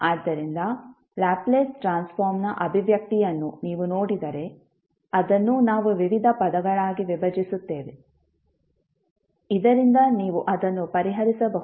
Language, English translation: Kannada, So, if you see the expression for Laplace Transform, which we decompose into various terms, so that you can solve it